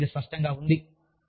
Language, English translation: Telugu, Yes, it is obvious